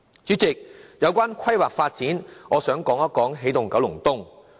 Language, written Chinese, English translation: Cantonese, 主席，關於規劃發展方面，我想討論一下"起動九龍東"。, President in respect of planning and development I would like to discuss the Energizing Kowloon East project